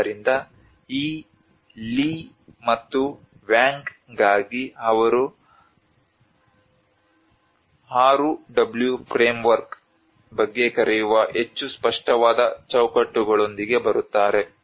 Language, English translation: Kannada, So for this Lei and Wang they actually come up with more explicit frameworks they call about ì6w frameworkî